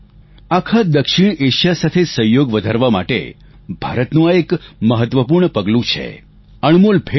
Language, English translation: Gujarati, It is an important step by India to enhance cooperation with the entire South Asia… it is an invaluable gift